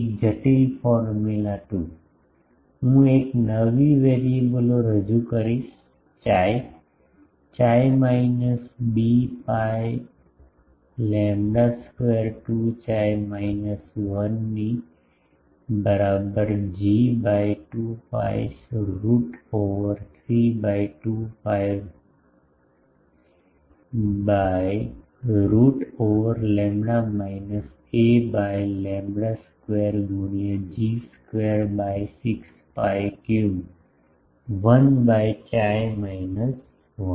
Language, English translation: Gujarati, A complicated formula 2, I will introduce a new variables chi, chi minus b by lambda whole square 2 chi minus 1 is equal to G by 2 pi root over 3 by 2 pi 1 by root over lambda minus a by lambda whole square into G square by 6 pi cube 1 by chi minus 1